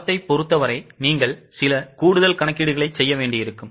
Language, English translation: Tamil, As far as the standard is concerned, you will have to make some extra calculation